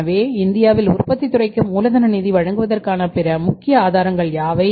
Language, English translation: Tamil, So, what are the other important sources of providing working capital finance to the manufacturing sector in India